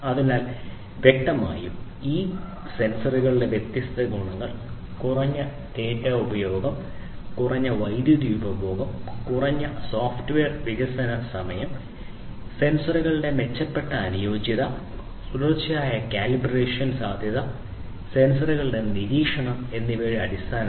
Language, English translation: Malayalam, So, there are; obviously, different advantages of these intelligent sensors in terms of reduced data communication, reduced power consumption, shorter software development time, improved compatibility of sensors, possibility of continuous collaboration sorry calibration and monitoring of the sensors